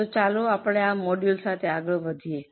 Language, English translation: Gujarati, So, let us go ahead with our module